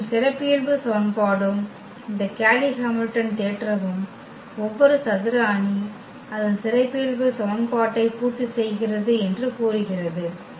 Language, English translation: Tamil, And, that is what the characteristic equation and this Cayley Hamilton theorem says that every square matrix satisfy its characteristic equation